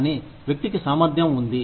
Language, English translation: Telugu, But, the person has the capability